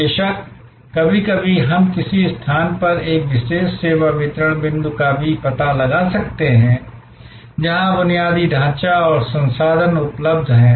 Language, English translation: Hindi, Of course, sometimes we may also locate a particular service distribution point at a location, where infrastructure and resources are available